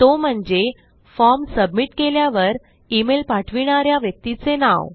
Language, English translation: Marathi, And that is the name of the person sending the email by submitting the form